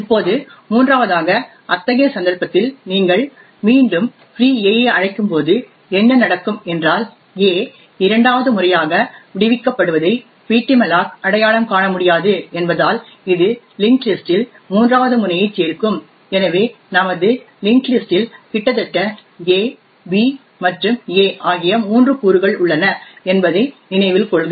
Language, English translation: Tamil, Now thirdly what would happen when you invoke free a again in such a case since ptmalloc cannot identify that a is being freed for the second time it would simply add a third node into the linked list, so note that our linked list virtually has three elements a, b and a